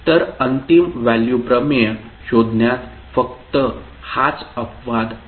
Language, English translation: Marathi, So that is the only exception in finding out the final value theorem